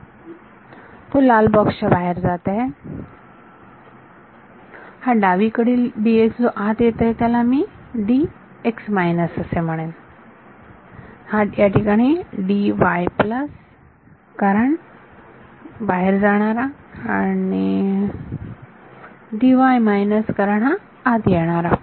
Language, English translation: Marathi, It is leaving this red box, this D x on the left hand side which is coming in I will call it D x minus, this D y over here plus because it is going out and D y minus because it is coming in